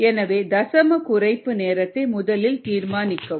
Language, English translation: Tamil, determine the decimal reduction time